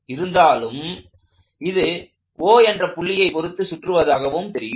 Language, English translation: Tamil, Although, it looks like it is rotating about O only, because the point O is fixed